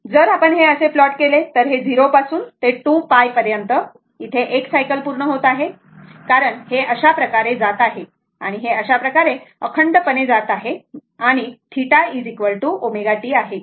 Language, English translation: Marathi, So, if you plot it so, this is from 0 to 2 pi, it is completing 1 cycle right because this is going like this and going like this and continuous it continuous and theta is equal to omega t right